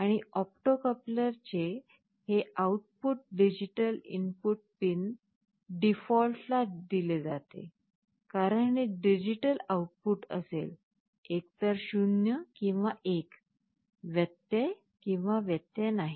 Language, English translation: Marathi, And this output of the opto coupler is fed to digital input pin default, because this will be a digital output, either 0 or 1, indicating an interruption or no interruption